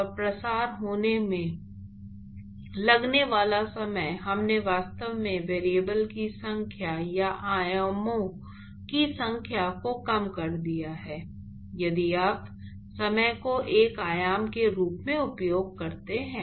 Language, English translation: Hindi, And the time that it takes for the diffusion to occur, we have actually reduced the number of variables or the number of dimensions if you use time as one of the dimensions